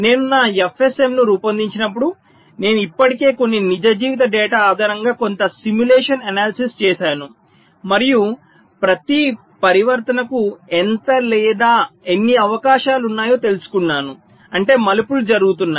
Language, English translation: Telugu, i am assuming that when i have designed my f s m, i have already done some simulation analysis based on some real life kind of data and found out how many or what is the chance of each of the transitions means it turns are occurring